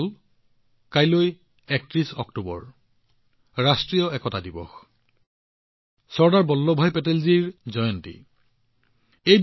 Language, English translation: Assamese, Friends, Tomorrow, the 31st of October, is National Unity Day, the auspicious occasion of the birth anniversary of Sardar Vallabhbhai Patel